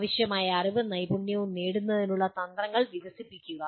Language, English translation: Malayalam, Develop strategies to acquire the required knowledge and skills